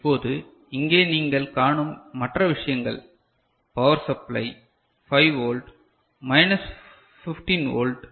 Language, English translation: Tamil, Now, the other things that you see over here these are the power supply ok, 5 volt minus 15 volt